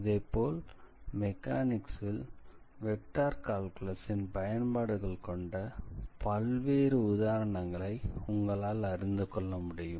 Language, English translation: Tamil, So, this is one of the interesting applications of vector calculus basically in mechanics